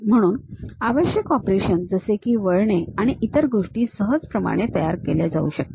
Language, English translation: Marathi, So, required operations like turning and other things can be easily formed